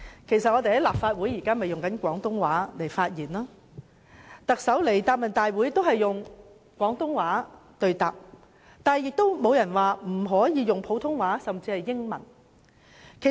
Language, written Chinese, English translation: Cantonese, 我們在立法會內以廣東話發言，而特首出席行政長官答問會時亦以廣東話對答，不曾有人指不可以普通話甚或英語發言。, We speak in Cantonese within the Legislative Council while the Chief Executive also answers questions in Cantonese when attending the Chief Executives Question and Answer Session . No one has ever said that we cannot use Putonghua or even English to speak